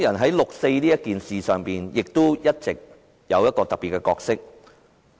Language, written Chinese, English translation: Cantonese, 在六四一事上，香港人一直擔當一個特別的角色。, With regard to the 4 June incident Hong Kong people have all along played a very special role